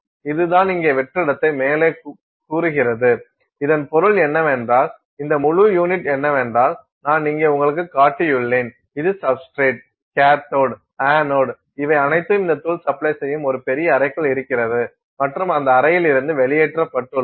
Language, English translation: Tamil, This is it says here vacuum right on top so, what this means is this whole unit that I have just shown you here which is the substrate, the cathode, the anode all this supply this powder everything is sitting inside a big chamber and the chamber is evacuated